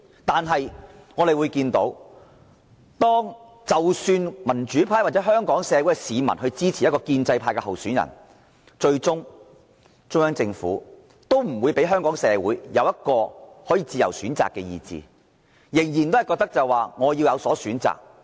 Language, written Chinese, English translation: Cantonese, 但是，我們見到，即使民主派或香港市民支持一名建制派的候選人，最終中央政府也不會讓香港市民享有自由選擇的權利，仍然覺得他們要有所篩選。, However even if the democrats or Hong Kong people support a pro - establishment candidate the Central Government ultimately will not let Hong Kong people enjoy the right to choose freely as it still thinks that screening is necessary